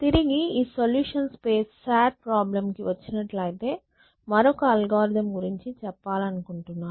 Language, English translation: Telugu, Next, come back to this solutions space sat problem essentially, so I want to talk about another algorithm which is